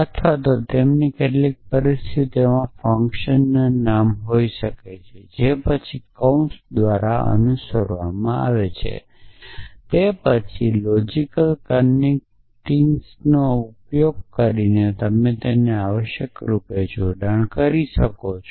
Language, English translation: Gujarati, Or it could be the function name in some situations followed by brackets followed by the arguments and then predicates connected using logical connectives essentially